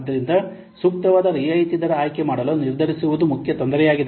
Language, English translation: Kannada, So, deciding, choosing an appropriate discount rate is one of the main difficulty